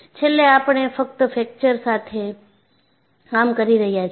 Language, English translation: Gujarati, See, finally, we are only dealing with fracture